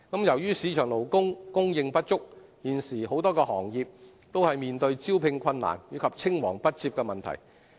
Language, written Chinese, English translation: Cantonese, 由於市場勞工供應不足，現時很多行業都面對招聘困難，以及青黃不接的問題。, Due to insufficient labour force in the market many trades and industries are facing difficulties in filling certain vacancies as well as succession problems